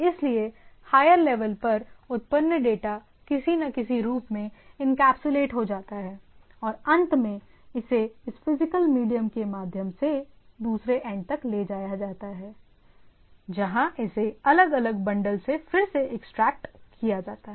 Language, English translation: Hindi, So, what we see, that a data generated at a higher level get encapsulated in some form of other and at the end, it is carried through this physical media to the other end where it is again been exploded or extracted out from this particular bundle at the different level